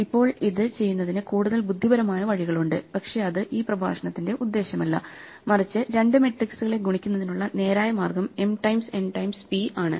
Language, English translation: Malayalam, Now there are more clever ways of doing it, but that is not the purpose of this lecture, but the naive straightforward, way of multiplying two matrices is m times n times p